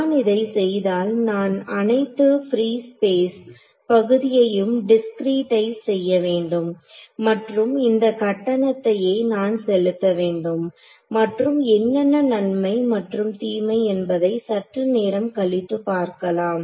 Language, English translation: Tamil, So, when I do this I have I have to discretize all of this free space region and that is a price I pay and we will come later on what are the advantages and disadvantages of doing